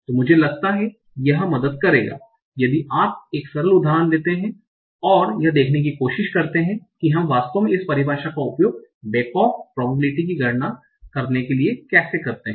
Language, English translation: Hindi, So I think it will help if we take a simple example and try to see how do we actually use this definition to compute the back of probability